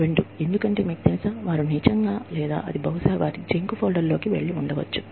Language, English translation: Telugu, Two, because, you know, they have not really, or it probably went into their junk folder, or too